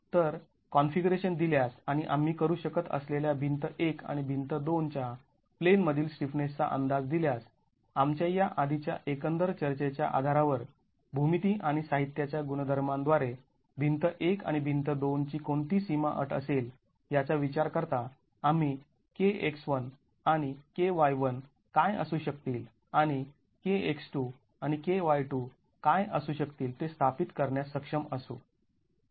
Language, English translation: Marathi, So, given the configuration and given the estimate of the in plain stiffnesses of wall 1 and wall 2 that we can make based on all our discussions earlier considering what boundary condition wall 1 and wall 2 would have from the geometry and the material properties we will be able to establish what KX1 and KY1 are going to be KX2 and KY2 are going to be